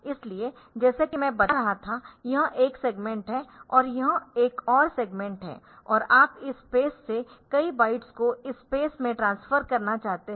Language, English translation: Hindi, So, as I was telling this is one segment and this is another segment and you want to transfer a number of bytes from this space to this space